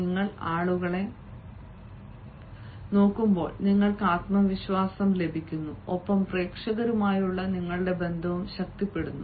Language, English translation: Malayalam, and when you look at the people you are gaining the confidence and your rapport with the audience is also strengthening